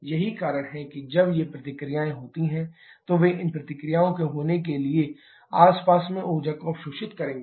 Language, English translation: Hindi, That is when these reactions happen, they will absorb energy from the surrounding for these reactions to happen